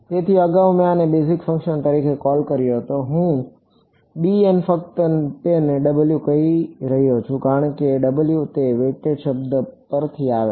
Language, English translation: Gujarati, So, earlier I had call this as the basis function b m I am just calling it W because W is coming from the word weighted ok